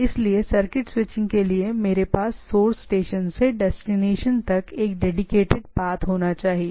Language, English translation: Hindi, So, for circuit switching I should have a dedicated path from the source station to the destination right